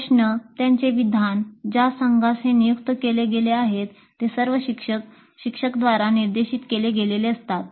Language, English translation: Marathi, The problem, its statement, the team to which it is assigned, they're all dictated by the instructor